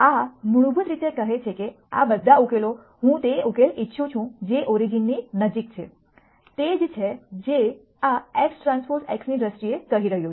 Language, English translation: Gujarati, This basically says that of all the solutions I want the solution which is closest to the origin is what this is saying in terms of x transpose x